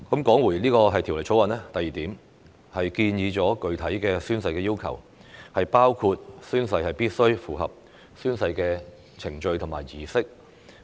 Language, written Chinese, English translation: Cantonese, 第二，《條例草案》建議加入具體的宣誓要求，包括宣誓必須符合宣誓程序和儀式。, Secondly the Bill proposes to introduce specific oath - taking requirements including the requirement that oaths must be taken in accordance with the oath - taking procedure and ceremony